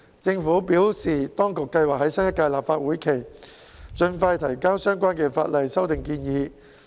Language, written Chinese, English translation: Cantonese, 政府表示，當局計劃在新一屆立法會會期盡快提交相關法例修訂建議。, The Government advised that it had planned to submit the relevant legislative amendment proposals as early as possible in the new legislative term